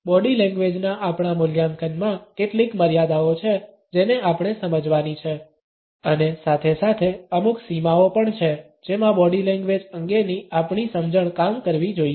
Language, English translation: Gujarati, In our assessment of body language there are certain constraints which we have to understand as well as certain boundaries within which our understanding of body language should work